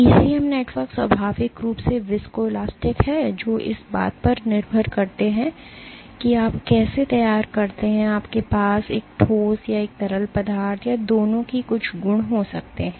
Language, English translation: Hindi, ECM networks are inherently viscoelastic depending on how you prepare you might have a solid or a fluid or some property of both